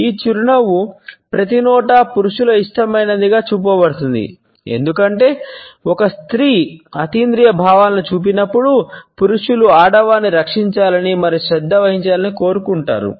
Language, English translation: Telugu, This smile has been shown to be men’s favourite everywhere because when a woman does it within genders paranormal feelings, making men want to protect and care for females